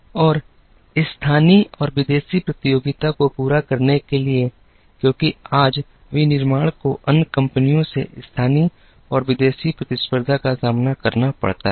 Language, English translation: Hindi, And to meet local and foreign competition, because today manufacturing has to face local and foreign competition from other companies